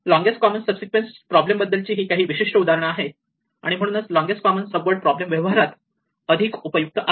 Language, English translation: Marathi, These are some typical example of this longest common subsequence problem and therefore, it is usually much more useful in practice in the longest common subword problem